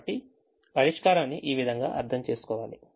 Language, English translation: Telugu, so this is how the solution has to be interpreted